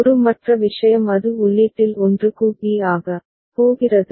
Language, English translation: Tamil, The other thing from a it was going to b for 1 at the input